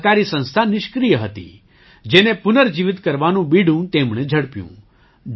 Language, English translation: Gujarati, This cooperative organization was lying dormant, which he took up the challenge of reviving